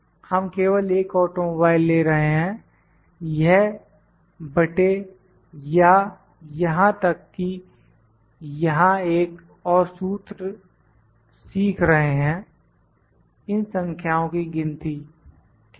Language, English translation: Hindi, We are just taking one automobile this divided by or even just learning another formula here count of these numbers, ok